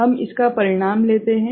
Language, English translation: Hindi, We take this result